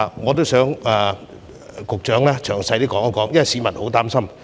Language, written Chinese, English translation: Cantonese, 我希望局長可以詳細解說，因為市民都很擔心。, I hope the Secretary can explain in detail because members of the public are very worried about this